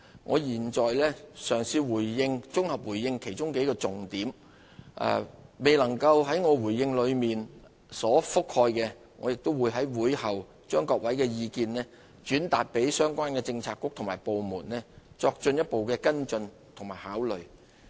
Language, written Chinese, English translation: Cantonese, 我現在嘗試綜合回應其中數個重點，我的回應中未有覆蓋的，我會在會後把各位的意見轉達相關的政策局和部門，作進一步跟進和考慮。, I will try to give a consolidated reply to a few main points and for issues that have not been covered in my reply I will relay Members views to the relevant bureaux and departments for further action and consideration